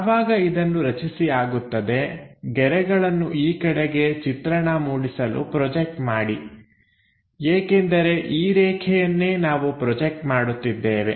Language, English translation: Kannada, Once that is done, project lines in this direction to construct because this is the line what we are going to project it